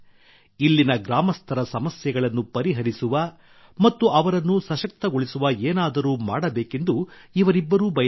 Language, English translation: Kannada, These people wanted to do something that would solve the problems of the villagers here and simultaneously empower them